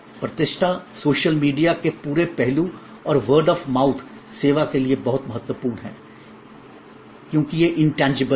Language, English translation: Hindi, Reputation, the whole aspect of social media and word of mouth, very important for service, because it is intangible